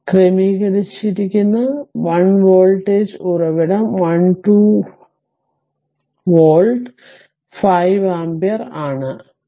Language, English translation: Malayalam, So, this is your what you call it is sorted and 1 voltage source is there 12 volt, 5 ampere